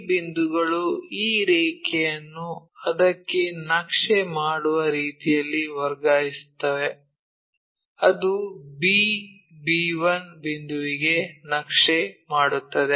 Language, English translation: Kannada, So, these point these points transferred in such a way that this line maps to that, this one maps to that and whatever the b b 1 points and so on